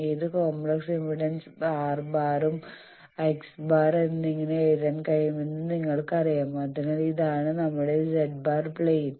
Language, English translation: Malayalam, This you know that we can write any complex impedance as R bar and X bar, so this is our Z plane